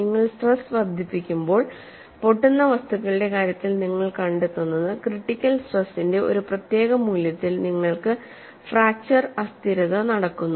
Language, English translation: Malayalam, In the case of brittle material as you increase the stress, what you find is, at a particular value of critical stress, you have fracture instability takes place